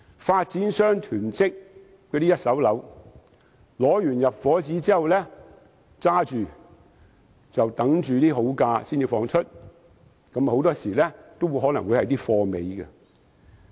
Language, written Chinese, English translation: Cantonese, 發展商囤積一手樓，先取得入伙紙，然後等價錢好的時候才出售，很多時候更可能只剩下貨尾單位。, After obtaining occupation permits real estate developers hoarding first - hand private properties will wait for good prices to sell their properties and very often only remaining surplus units will probably be put up for sale